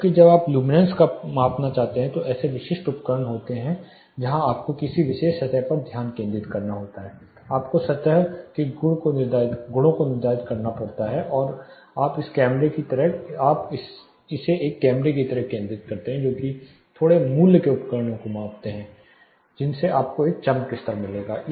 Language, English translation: Hindi, Whereas when want to measure luminance there are specific devices where you have to focus on a particular surface, you have to set the surface properties then you focus it like a camera they are slightly pricey devices measuring which you will get what is a brightness level are luminance on a surface